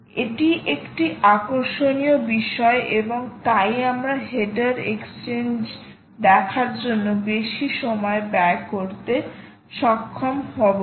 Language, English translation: Bengali, its also an interesting thing, and so we will not be able to spend much time doing a header exchange